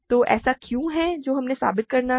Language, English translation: Hindi, So, what is it that we have to prove